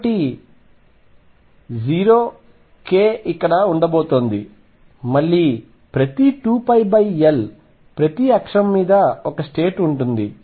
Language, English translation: Telugu, So, 0 k is going to be here again every 2 pi by L there is one state on each axis